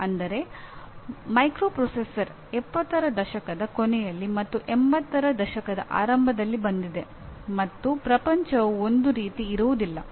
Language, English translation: Kannada, That is where the microprocessor have come in late ‘70s and early ‘80s and the world is not the same anymore